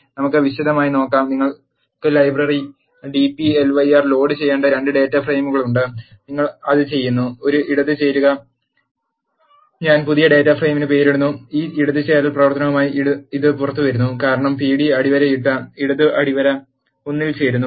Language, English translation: Malayalam, Let us see in detail, you have 2 data frames you need to load the library dplyr and you are doing it, a left join and I am naming the new data frame, which is coming out with this left join operation as, pd underscore left underscore join 1